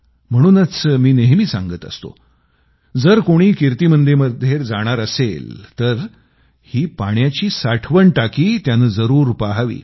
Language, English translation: Marathi, As I always say that whosoever visits KirtiMandir, should also pay a visit to that Water Tank